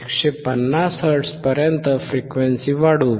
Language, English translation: Marathi, Let us increase to 150 Hz